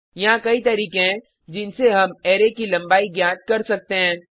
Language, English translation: Hindi, There are many ways by which we can find the length of an array